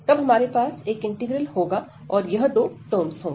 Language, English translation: Hindi, So, again we will have one integral, and these two terms